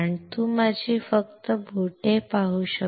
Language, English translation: Marathi, Can you see my fingers